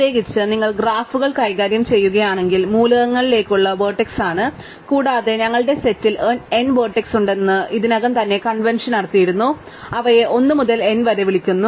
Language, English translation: Malayalam, So, in particular if you are dealing with graphs, the elements are the vertices typically and we already had convention that we have n vertices in our set and we call them 1 to n